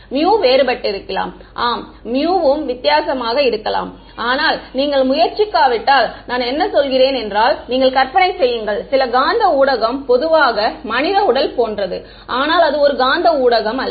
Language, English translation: Tamil, Mu can also be different yeah mu can also be different, but I mean unless you are trying to image some magnetic medium will which is usually like the human body is not a magnetic medium right